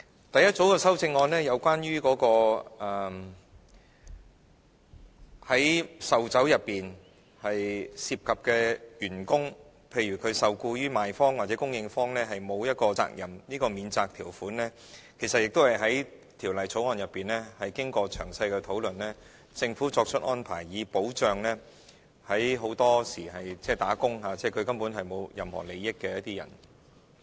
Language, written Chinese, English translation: Cantonese, 第一組修正案是關於在售酒過程中涉及送遞酒類的員工，譬如他既非受僱於賣方，亦非受僱於供應方，免除其責任，這項免責條款其實也在審議《條例草案》時經過詳細討論，政府作出安排，以保障很多時候根本沒有涉及任何利益的打工階層及人士。, The first group of amendments is to exempt the staff from the liabilities arising from delivering liquors in the course of business for another person as they are not employed by the seller or supplier . This exemption clause has been discussed thoroughly during the scrutiny of the Bill . The Government therefore makes the arrangement to protect wage earners and employees who have no personal interests or benefits